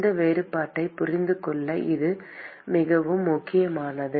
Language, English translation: Tamil, This is very important to understand this distinction